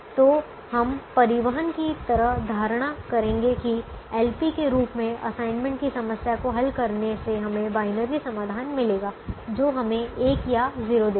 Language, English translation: Hindi, so we will make an assumption, like in the transportation, that solving the assignment problem as a l p would give us binary solutions, would give us one or zero